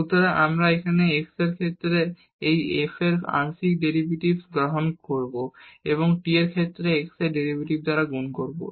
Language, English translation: Bengali, So, we will take here the partial derivatives of this f with respect to x and multiplied by the derivative of x with respect to t